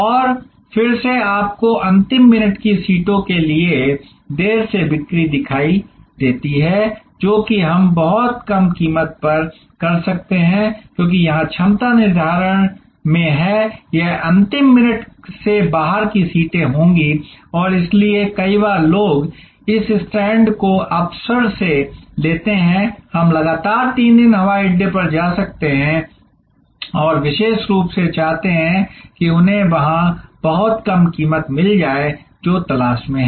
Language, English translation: Hindi, And again you see late sales for the last minutes seats that can also we at a very low price, because here the capacity is in determinant it will be the seats left out of the last minute and, so many times people take this stand by opportunity we may go to the airport 3 days consecutively and want particular they there will get that very low price see that there looking for